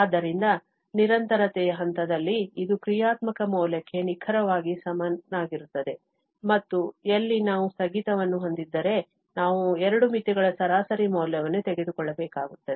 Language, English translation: Kannada, So, at the point of continuity, that this will be exactly equal to the functional value and wherever we have discontinuity, we have to take the average value of the two limits